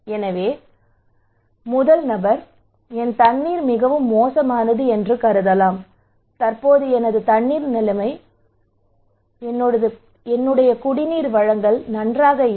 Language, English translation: Tamil, So the first person, he may consider that, my real water is really bad the present my drinking water supply is not good